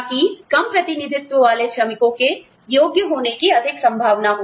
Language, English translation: Hindi, So, that the under represented workers, are more likely to be qualified